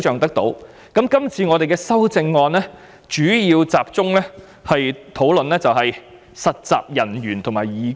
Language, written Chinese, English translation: Cantonese, 關於這次的修正案，我們主要集中討論實習人員和義工。, With regard to the present amendments we will mainly focus on interns and volunteers